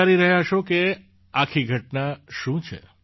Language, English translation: Gujarati, You must be wondering what the entire matter is